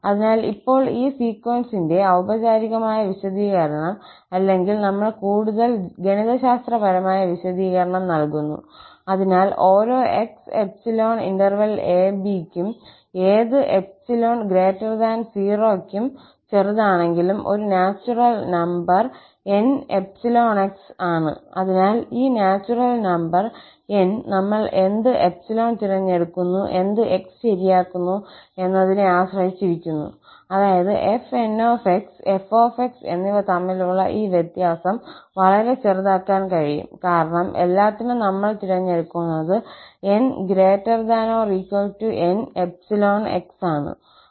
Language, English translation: Malayalam, So, now, the formal definition of this sequence or we give more mathematical definition, so, for each x in this interval [a, b] and for any epsilon greater than 0, however small, there is a natural number N(epsilon, x), so, this natural number N depends on what epsilon we choose and what x we fix, such that this difference between fn and f can be set arbitrarily small because epsilon is what we have chosen for all n greater than or equal to N(epsilon, x)